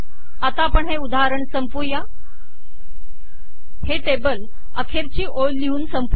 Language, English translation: Marathi, We will conclude this example, conclude this table with a last row